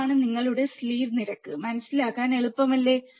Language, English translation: Malayalam, That is your slew rate, very easy to understand, isn't it